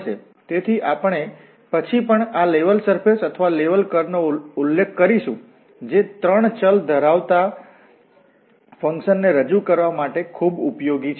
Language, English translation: Gujarati, So, these level surfaces or level curves, we will also mention later, these are very useful for representing for instance the functions which have 3 variables